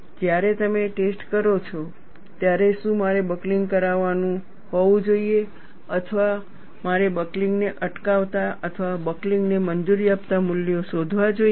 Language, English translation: Gujarati, When you do a testing, should I have buckling to take place or should I find out the values preventing buckling or having the buckling allowed